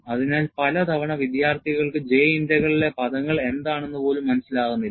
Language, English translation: Malayalam, So, many times, students do not even understand, what are all the terms in a J Integral; it is taken care of by the software